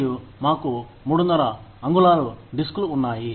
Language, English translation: Telugu, And, we had 3 1/2 inch disks